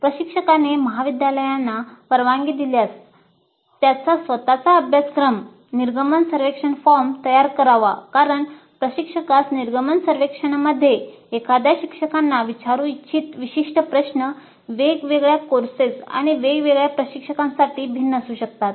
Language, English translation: Marathi, Instructor if permitted by the college should design his, her own course exit survey form because the specific questions that an instructor would like to ask in the course exit survey may be different for different courses and different instructors